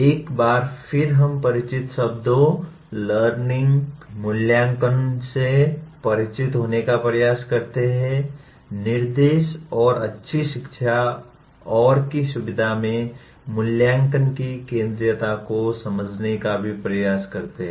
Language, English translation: Hindi, One is again we try to get introduced to the familiar words, “learning”, “assessment” and “instruction” and also try to understand the centrality of assessment in facilitating “good learning”